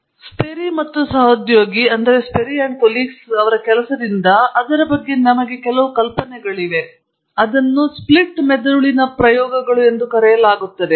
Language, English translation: Kannada, And we have some idea understanding of it from the work of Sperry and coworkers, it is called the Split brain experiments